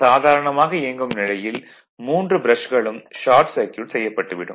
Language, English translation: Tamil, Under normal running condition the 3 brushes are short circuited